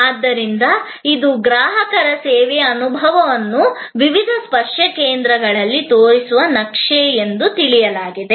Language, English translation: Kannada, And so, it think of it as a map showing the customer's experience of the service at various touch points